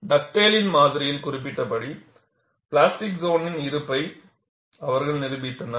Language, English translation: Tamil, They demonstrated the existence of plastic zone as postulated by Dugdale’s model